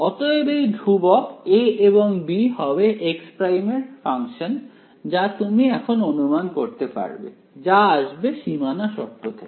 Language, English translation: Bengali, So, these constants A and B will be functions of x prime that you can sort of anticipate now itself right and that will come from boundary condition